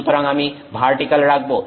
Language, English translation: Bengali, So, I'll put vertical